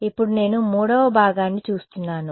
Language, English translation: Telugu, Now, I am looking at the 3rd component